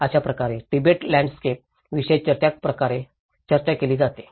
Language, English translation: Marathi, This is how the typical Tibetan landscape is all talked about